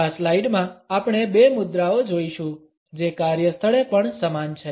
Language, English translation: Gujarati, In this slide we would look at two postures which are also same in the workplace